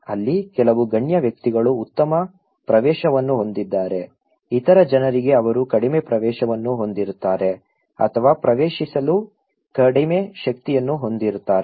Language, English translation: Kannada, There some elite people have better access, the other people those who don’t have they have little access or little power to accessize